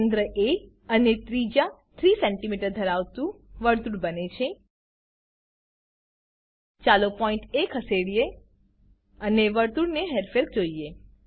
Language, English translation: Gujarati, A Circle with center A and radius 3cm is drawn Lets Move the point A and see the movement of the circle